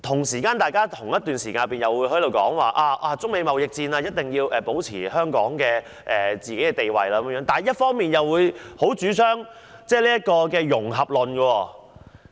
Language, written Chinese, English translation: Cantonese, 此外，大家一方面說，香港在中美貿易戰中必須保持其地位，但另一方面又強烈主張"融合論"。, Sometimes one may need to return the favour . Besides on the one hand Members have argued that Hong Kong must maintain its position amidst the Sino - American trade conflicts . But on the other they have also strongly advocated the necessity for integration